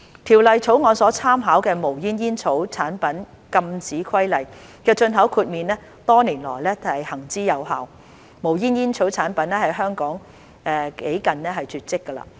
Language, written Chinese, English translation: Cantonese, 《條例草案》所參考的《無煙煙草產品規例》的進口豁免多年來行之有效，無煙煙草產品在香港幾近絕跡。, The import exemption under the Smokeless Tobacco Products Prohibition Regulations from which the Bill draws reference has operated effectively over the years as smokeless tobacco products are almost extinct in Hong Kong